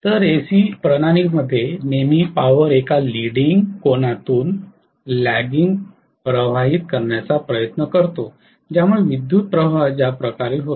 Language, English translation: Marathi, Whereas, in AC systems always the power will try to flow from a lagging angle, leading angle to the lagging angle that is the way the power flow occurs